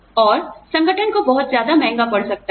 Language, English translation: Hindi, And, that may end up, costing the organization, a lot